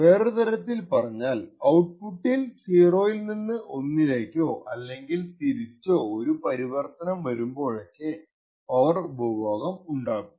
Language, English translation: Malayalam, In other words, every time there is a transition in the output from 0 to 1 or 1 to 0, there is some power consumed by the device